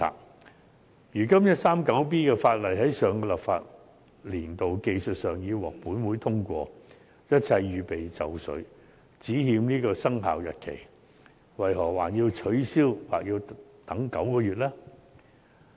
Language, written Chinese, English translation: Cantonese, 第 139B 章在上個立法年度技術上已獲本會通過，一切已經準備就緒，只欠生效日期，為何還要取消或等9個月呢？, 139B was technically speaking passed by this Council in the last legislative session and is ready for implementation except the commencement date is yet to be determined . What is the point of repealing it or deferring it for nine months then?